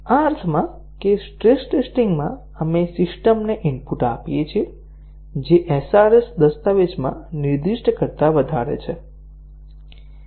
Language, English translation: Gujarati, In the sense that in stress testing, we give input to the system which is beyond what is specified in the SRS document